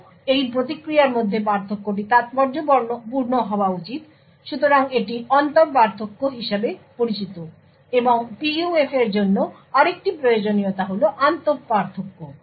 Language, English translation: Bengali, Further, the difference between this response should be significant, So, this is known as the inter difference, and another requirement for PUF is the intra difference